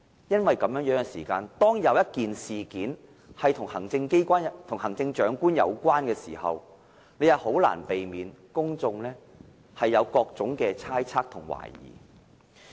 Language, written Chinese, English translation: Cantonese, 因此，萬一事件是與行政長官有關時，將難以避免令公眾產生各種猜測及懷疑。, For that reason in case the incident is related to the Chief Executive then it will be difficult to avoid all sorts of speculations and suspicions in the community